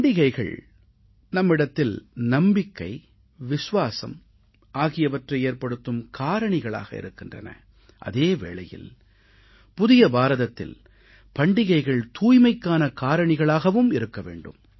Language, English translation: Tamil, Festivals are of course symbols of faith and belief; in the New India, we should transform them into symbols of cleanliness as well